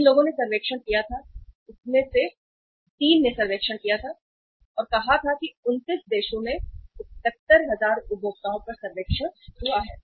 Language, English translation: Hindi, Three of the people they conducted the survey sometimes back and the survey was conducted across uh say 71,000 means on the 71,000 uh consumers across 29 countries right